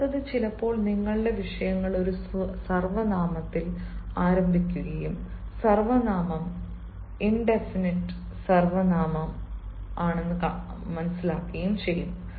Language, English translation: Malayalam, next is, sometimes your subjects will begin with a pronoun and the pronoun will be an indefinite pronoun